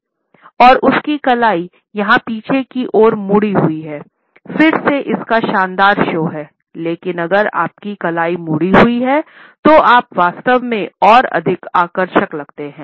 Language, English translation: Hindi, And his wrist is bent backwards here, again its great show you palms, but if your wrist is bent you actually come across as more flimsy